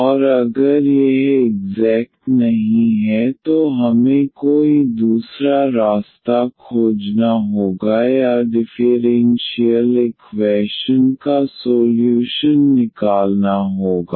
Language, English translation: Hindi, And if it is not exact then we have to find some other way or to get the solution of the differential equation